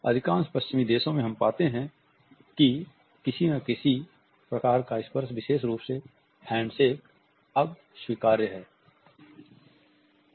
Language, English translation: Hindi, In most of the western world we find that some type of a touch has become permissible now particularly the handshake